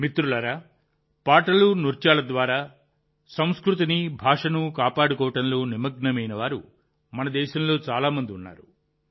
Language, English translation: Telugu, Friends, there are many people in our country who are engaged in preserving their culture and language through songs and dances